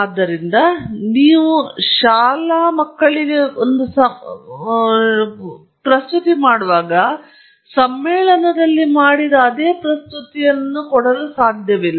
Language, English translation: Kannada, So, you cannot just make the same presentation that you make in a conference to your school audience